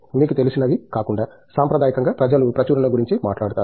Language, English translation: Telugu, Other than you know, I mean traditionally people talk about publications